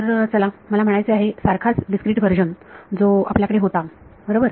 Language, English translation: Marathi, So, let us I mean the same discrete version right which we had